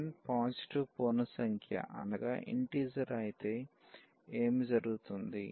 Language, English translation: Telugu, If n is a positive integer if n is a positive integer, what will happen